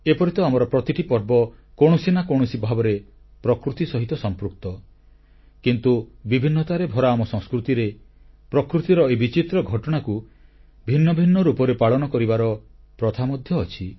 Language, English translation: Odia, Though all of our festivals are associated with nature in one way or the other, but in our country blessed with the bounty of cultural diversity, there are different ways to celebrate this wonderful episode of nature in different forms